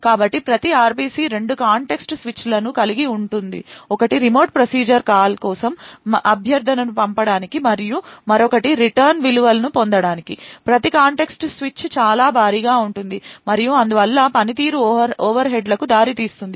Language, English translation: Telugu, So every RPC involves two context switches one to send the request for the remote procedure call and the other one to actually obtain the return values, each context switch is very heavy and therefore would result in performance overheads